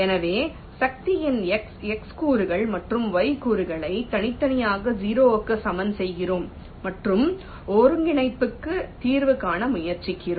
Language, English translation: Tamil, so we are separately equating the x components and y components of the force to a zero and trying to solve for the coordinate